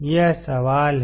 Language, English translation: Hindi, That is the question